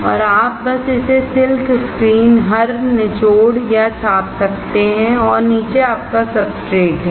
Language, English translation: Hindi, And you just squeeze or splash it across the silk screen and below is your substrate